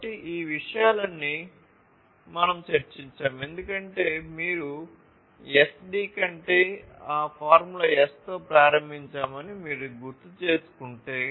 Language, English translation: Telugu, So, all of these things we have discussed because if you recall that we started with that formula S over SD